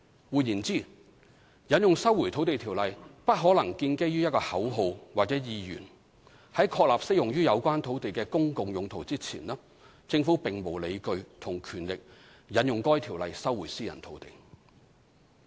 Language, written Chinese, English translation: Cantonese, 換言之，引用《收回土地條例》不可能建基於一個口號或意願；在確立適用於有關土地的"公共用途"之前，政府並無理據及權力引用該條例收回私人土地。, In other words the invocation of LRO cannot be possibly based on a slogan or an intention . The Government has no justification and power to invoke LRO to resume private land before the relevant public purpose has been established